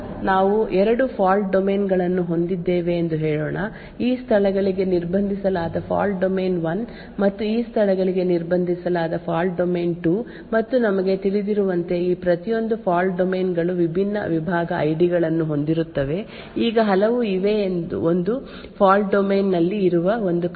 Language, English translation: Kannada, So let us say that we have two fault domains, fault domain 1 which is restricted to these locations and fault domain 2 which is restricted to these locations and as we know each of these fault domains would have different segment IDs, now there would be many times where we would want one function present in one fault domain to invoke another function present in another fault domain